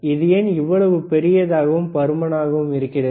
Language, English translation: Tamil, Why its its so big, why so bulky, right